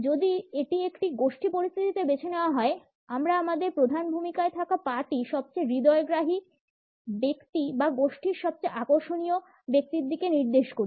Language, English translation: Bengali, If it is opted in a group position, we tend to point our lead foot towards the most interesting person or the most attractive person in the group